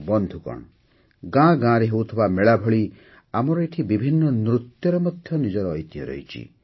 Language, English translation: Odia, Friends, just like the fairs held in every village, various dances here also possess their own heritage